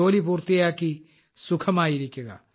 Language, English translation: Malayalam, Finish your work and be at ease